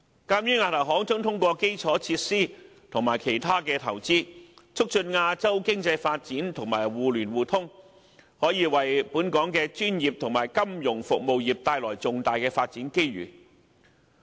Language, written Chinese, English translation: Cantonese, 鑒於亞投行將通過基礎設施及其他投資，促進亞洲經濟發展及互聯互通，本港的專業及金融服務業可因此而獲得重大發展機遇。, As AIIB is going to promote the economic development and interconnection in Asia through infrastructure investment and other investments Hong Kongs professional sectors and financial services will have huge development opportunities